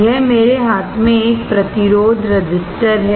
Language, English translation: Hindi, This is a resistor in my hand